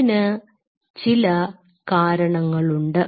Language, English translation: Malayalam, There are reasons for it